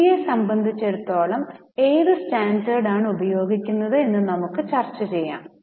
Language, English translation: Malayalam, As far as India is concerned, what standards we use, we will discuss about it